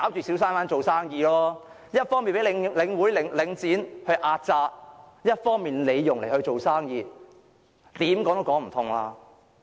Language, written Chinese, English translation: Cantonese, 小商販一方面被領展壓榨，一方面要在那裏做生意，怎樣說也說不通。, On the one hand these small traders are being oppressed by Link REIT but on the other they need to do business there